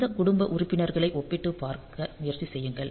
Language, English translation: Tamil, So, if you try to compare across these family members